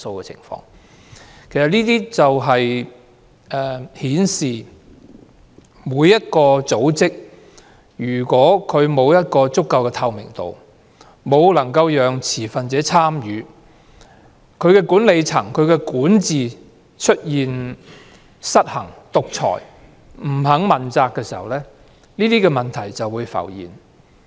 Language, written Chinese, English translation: Cantonese, 這正正顯示，如果相關組織沒有足夠的透明度或沒有讓持份者參與，當管理層或管治出現失衡、獨裁或不肯問責的情況，問題便會浮現。, This precisely shows that problems will emerge if the relevant bodies do not have sufficient transparency or disallow participation by stakeholders or when the management or governance is unbalanced dictatorial or unaccountable